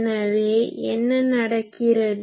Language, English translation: Tamil, So, what happen